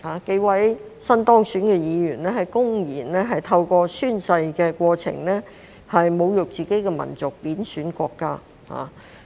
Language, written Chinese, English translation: Cantonese, 數位新當選議員公然透過宣誓的過程，侮辱自己的民族及貶損國家。, A few newly elected Members openly insulted their own nation and demeaned their own country in the oath - taking process